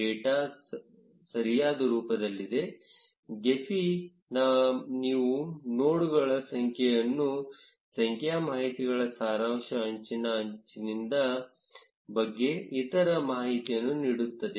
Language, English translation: Kannada, If the data is in correct format, gephi will give you a summary of the data, which is the number of nodes, the number of edges and other information about the edge